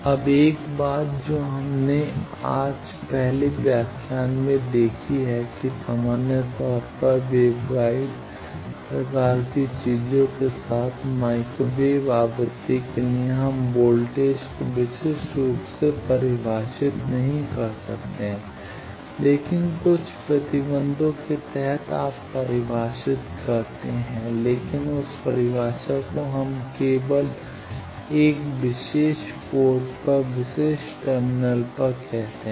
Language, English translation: Hindi, Now, 1 thing that we have seen in the first lecture today that in general for at microwave frequency with waveguide type of things, we cannot define voltage uniquely, but under certain restriction you have define, but that definition we that times say is only at the particular terminal plane at a particular port I can define uniquely voltage or current